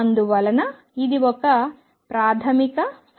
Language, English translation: Telugu, And therefore, it is a fundamental equation